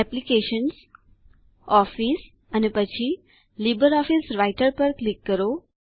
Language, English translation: Gujarati, Click on Applications, Office and LibreOffice Writer